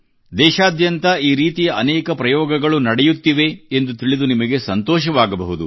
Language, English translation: Kannada, You will be happy to know that many experiments of this kind are being done throughout the country